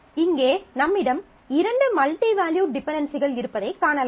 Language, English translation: Tamil, So, there are 2 different multi valued dependencies in this case